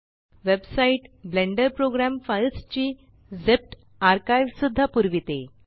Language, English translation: Marathi, The website also provides a zipped archive of the Blender program files